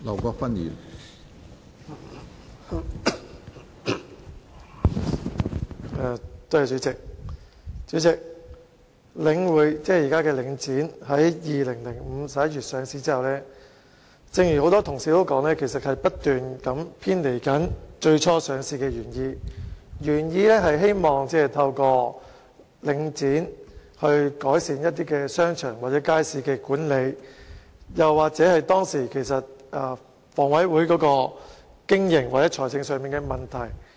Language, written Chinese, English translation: Cantonese, 主席，正如很多同事所說，領匯房地產投資信託基金 )2005 年11月上市之後，營運手法不斷偏離最初上市的原意。原意是透過上市改善商場或街市的管理，或是解決香港房屋委員會當時經營或財政上的問題。, President as pointed out by many Honourable colleagues subsequent to the listing of The Link Real Estate Investment Trust in November 2005 its business practice has persistently deviated from its original purpose of improving the management of shopping arcades and markets or resolving through listing the operational or financial problems facing the Hong Kong Housing Authority HA at that time